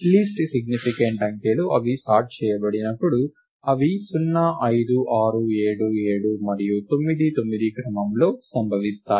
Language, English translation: Telugu, The least significant digits are when they are sorted, occur in the order 0, 5, 6, 7, 7, and 9, 9